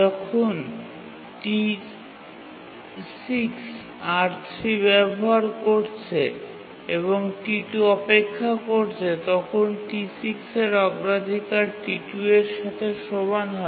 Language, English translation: Bengali, When T6 is using R3 and T2 is waiting, T6 priority gets enhanced to that of T2